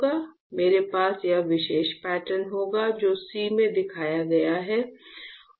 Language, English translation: Hindi, We will have this particular pattern which is shown in shown in C